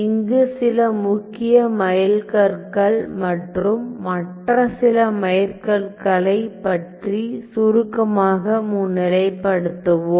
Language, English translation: Tamil, So, then well so, these were some of the major milestones, let me just highlight briefly some of the other milestones